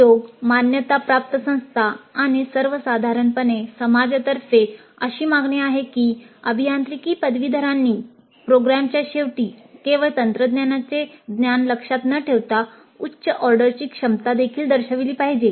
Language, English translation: Marathi, Industry, accreditation bodies and society in general are demanding that engineering graduates must demonstrate at the end of the program not just memorized technical knowledge but higher order competencies